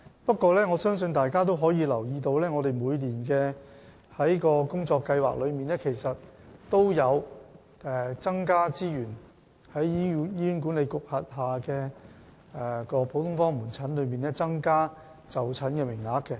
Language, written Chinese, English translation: Cantonese, 不過，我相信大家也留意到，我們在每年的工作計劃中，其實也有就醫管局轄下的各個普通科門診增加資源及增加就診名額。, However I believe Members will notice from our annual work plan that we have increased both the resources allocated to every general outpatient clinic under HA and the number of appointment slots available